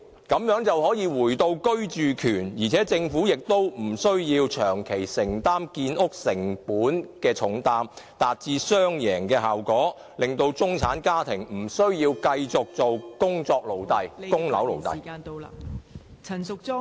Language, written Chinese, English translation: Cantonese, 這樣便可回到居住權，而且政府亦無需長期承擔建屋成本的重擔，達致雙贏效果，令中產家庭無需繼續當工作奴隸及供樓奴隸。, In that case while people can enjoy their housing rights the Government is also free from the heavy burden of building costs thus leading to a win - win situation and it is also unnecessary for people in the middle class to be slaves of work and property mortgage anymore